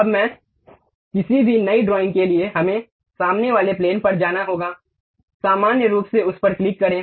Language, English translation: Hindi, Now, for any new drawing, we have to go to front plane, click normal to that